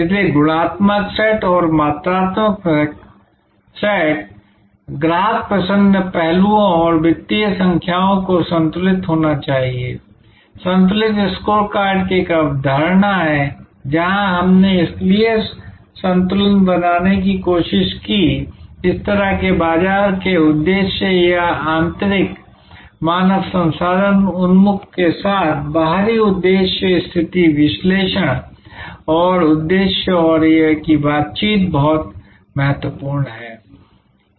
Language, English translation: Hindi, So, the qualitative set and the quantitative set, the customer delight aspects and the financial numbers must be balanced, there is a concept of balanced scorecard, where we tried to balance therefore, this kind of market objectives or external objectives with internal human resource oriented situation analysis and objectives and that balance that interaction is very important